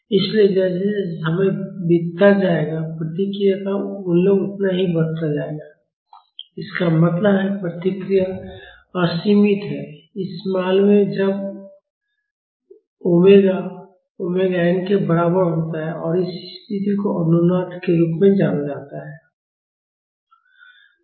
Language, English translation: Hindi, So, as time goes by, the value of the response will only increase so; that means, the response is unbounded, in this case when omega is equal to omega n and this condition is known as resonance